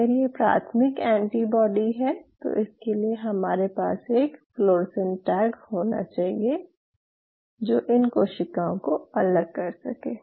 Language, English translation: Hindi, I mean if this is a primary antibody I have to have a fluorescent tag which will distinguish these cells